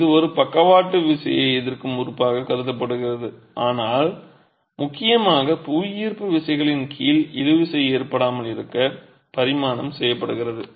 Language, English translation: Tamil, It is conceived as a lateral force resisting element but predominantly under gravity forces dimensioned to keep tension out